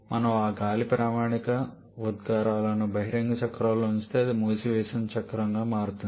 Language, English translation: Telugu, If we put those air standard emissions on the open cycle then that turns to be a closed cycle is not it